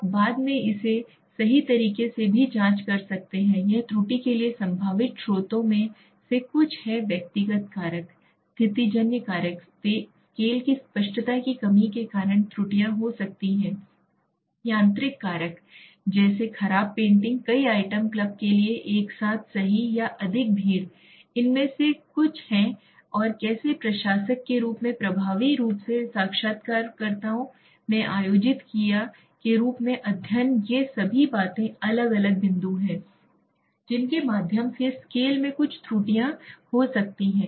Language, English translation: Hindi, You can later on also check it right, what is this is some of the potential sources for error so they errors can happen because of like personal factor, situational factors, lack of clarity of the scale, mechanical factors like poor painting right to many items club together right, or overcrowding so these are some of the and how the administrator as effectively the interviewers as conducted in the study all these things are different points through which the scale can have some errors